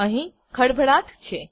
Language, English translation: Gujarati, There is a commotion